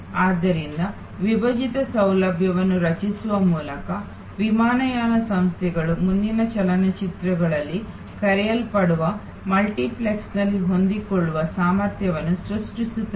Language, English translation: Kannada, So, by creating split facilities, airlines create the flexible capacity in many of the so called multiplexes in further movies